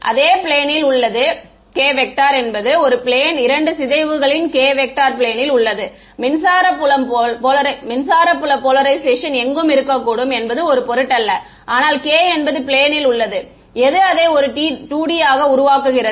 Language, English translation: Tamil, It in the plane the k vector is in the plane in the 2 decays k vector is in the plane, the electric field polarization can be anywhere does not matter, but k is in the plane that is what makes it a 2D